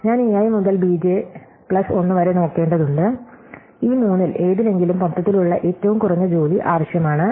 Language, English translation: Malayalam, So, now, I have to look at a i onwards and b j plus 1 onwards and whichever of these three requires the minimum work overall is the one i want